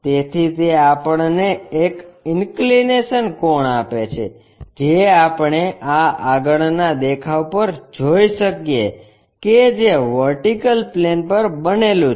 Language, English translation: Gujarati, So, it gives us an inclination angle which we may be in a position to sense on this front view which is on the vertical plane